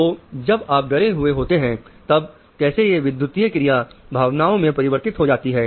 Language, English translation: Hindi, So, when you feel fearful, then how does this electrical activity change to emotion